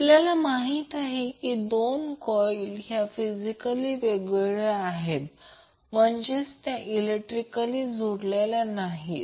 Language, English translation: Marathi, Now as we know that the two coils are physically separated means they are not electrically connected